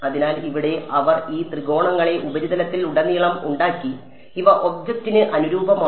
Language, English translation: Malayalam, So, here they have made these triangles all over the surface and these are conformal to the object ok